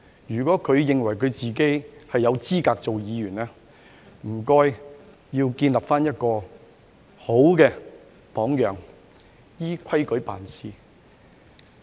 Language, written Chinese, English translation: Cantonese, 如果他認為自己有資格做議員，請他建立好榜樣，依規矩辦事。, If he thinks that he is qualified as a Member he should set a good example and play by the rules